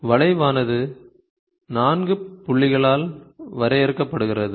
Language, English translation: Tamil, The curve is defined by 4 points